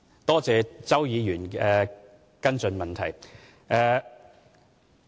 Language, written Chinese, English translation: Cantonese, 多謝周議員提出的跟進質詢。, I thank Mr CHOW for his supplementary question